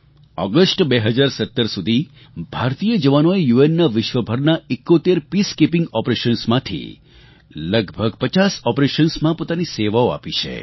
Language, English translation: Gujarati, Till August 2017, Indian soldiers had lent their services in about 50 of the total of 71 Peacekeeping operations undertaken by the UN the world over